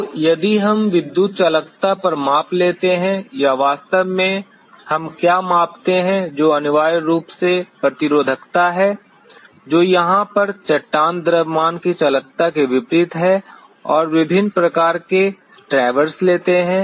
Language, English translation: Hindi, So, if we take a measurement on the electrical conductivity or what exactly we measure which is essentially the resistivity which is inverse of conductivity of the rock mass over here and take different kind of traverses